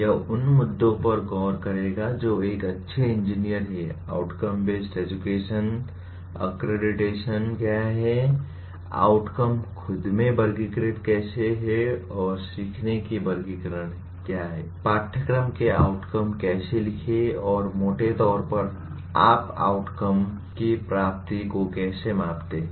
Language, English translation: Hindi, This will look at issues like who is a good engineer, what is outcome based education, the accreditation, outcomes themselves how they are classified and taxonomy of learning, how to write course outcomes and broadly how do you measure the attainment of outcomes